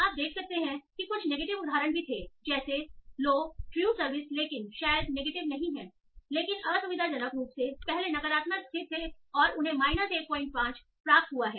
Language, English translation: Hindi, You can see there was some negative examples also there like low, true surveys, was probably not negative but in the conveniently located was negative and they got a minus 1